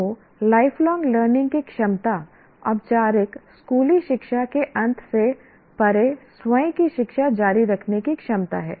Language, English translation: Hindi, So, lifelong learning is the ability to continue one's own self education beyond the end of formal schooling